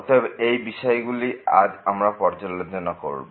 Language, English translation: Bengali, So, these are the topics we will be covering today